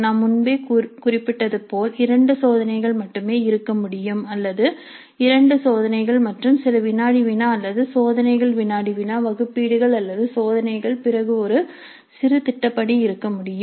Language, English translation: Tamil, As I mentioned there can be only two tests or there can be two tests and certain quizzes or there can be tests, quizzes, assignments or there can be tests, then a mini project